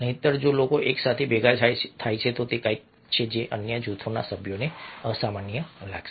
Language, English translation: Gujarati, otherwise, if people stand hurdled together, then it is something which some of the other group members will find abnormal